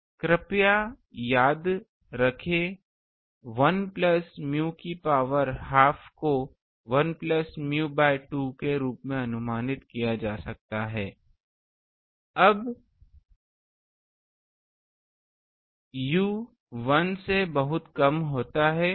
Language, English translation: Hindi, Now, please remember that 1 plus u to the power half can be approximated as 1 plus u by 2 when u is much much less than 1